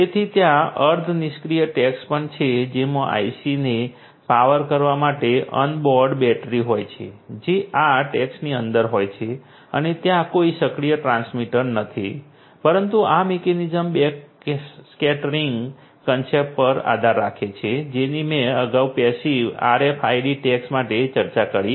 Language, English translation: Gujarati, So, there are semi passive tags as well which has an onboard battery to power the IC, that is embedded that is inside these tags and there is no active transmitter, but this mechanism also relies on backscattering concept that I discussed previously for the passive RFID tags